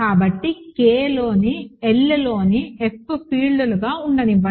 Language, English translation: Telugu, So, let F in L in K be fields, ok